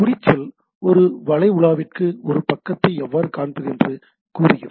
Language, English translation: Tamil, Tags tell the web browser how to display a page right, the tag tells a web browser how to display a page